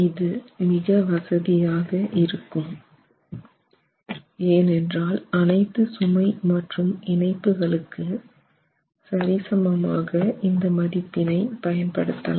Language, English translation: Tamil, So, that's more convenient to do because you can uniformly apply this to all your loads and load cases including the combinations